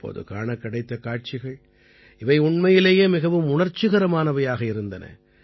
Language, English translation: Tamil, The pictures that came up during this time were really emotional